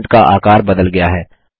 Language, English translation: Hindi, The size of the font has changed